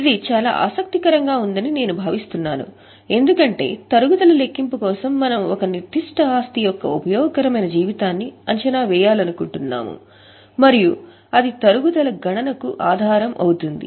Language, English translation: Telugu, I think this is very interesting because for calculation of depreciation we have seen we want to estimate useful life of a particular asset and that will be the basis for calculation of depreciation